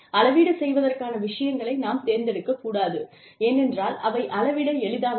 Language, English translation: Tamil, We should not select things for measurement, just because, they are easy to measure